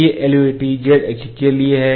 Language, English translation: Hindi, These LVDTs for this LVDT is for z axis